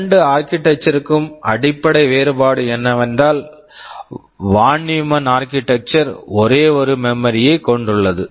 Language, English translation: Tamil, The basic difference is that in the Von Neumann Architecture we have a single memory where both instructions and data are stored